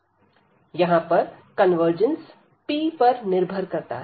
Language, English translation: Hindi, So, here again this convergence of this depends on p